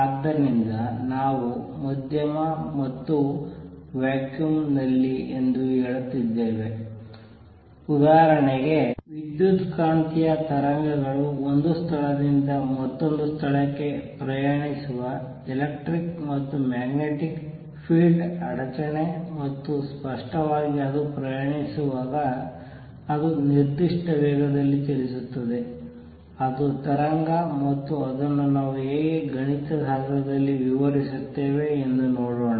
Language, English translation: Kannada, So, we are saying medium or in vacuum; for example, electromagnetic waves which is the disturbance of electric and magnetic field travelling from one place to another and obviously, when it travels, it travels with certain speed; that is the wave and how do we describe it mathematically let us see that